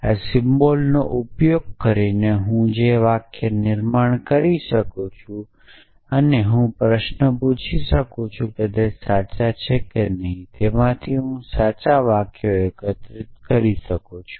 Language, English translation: Gujarati, So, the sentences I can construct using these symbols and I can ask the question of the self them were there that is true or not from that I can collect the true sentences